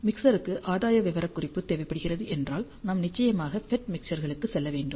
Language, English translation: Tamil, If the mixer requires a gain specification, then we will definitely go for FET mixers